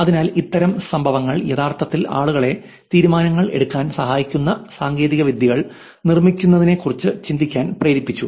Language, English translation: Malayalam, So, these kind of incidents have actually made people to think about building technologies that will help them, help users make that decisions